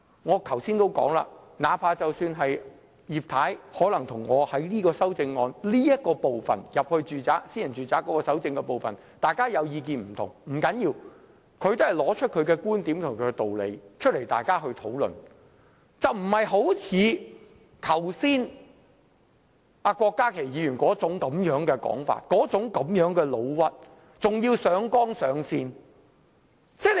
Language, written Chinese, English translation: Cantonese, 我剛才也說，哪怕是葉太可能就這組修正案有關進入私人住宅搜證這部分有不同意見，不要緊，她也是提出觀點和道理讓大家討論，而非像郭家麒議員剛才般，用上那種說法和"老屈"的態度，還要上綱上線。, As I have said before it is fine that Mrs Regina IP holds differing views on this group of amendments relating to the inspection of private premises for evidence collection . She has simply cited her points and reasons for discussion unlike Dr KWOK Ka - ki who pursued his objective by means of fault allegations and smears even labelling others groundlessly